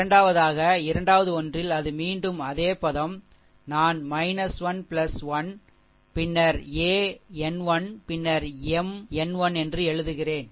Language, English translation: Tamil, Just hold on, right so, in second one it is again the same term, I am writing minus n plus 1, then a n 1 then M n 1, right